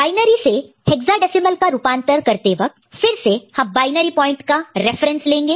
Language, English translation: Hindi, And binary to hexadecimal conversion, again will be forming group of 4 with starting from the binary point as reference